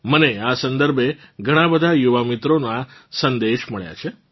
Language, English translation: Gujarati, I have received messages related to this from many young people